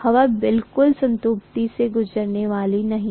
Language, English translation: Hindi, Air is never going to go through saturation absolutely